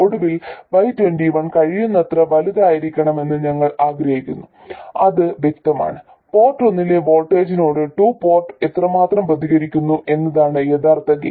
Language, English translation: Malayalam, And finally, we wanted Y2 1 to be as large as possible and that's obvious, that is in fact the gain, that is how much the two port responds to the voltage on port 1